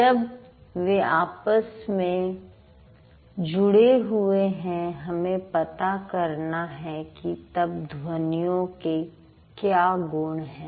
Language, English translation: Hindi, So, when they are interrelated, we have to find out what is the property of sounds